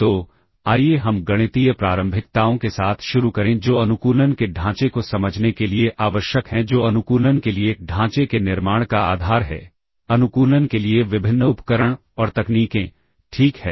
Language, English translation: Hindi, So, let us start with the mathematical preliminaries that are required to understand the framework of optimization that is which form the basis of building the framework for optimization, the various tools and techniques for optimization, ok